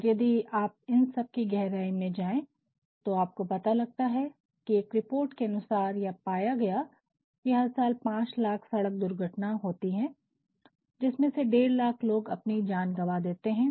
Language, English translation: Hindi, And, you know if you go into the depth of all these you will find, that based on a report it was found that every year around 5 lakh road accidents take place out of which 1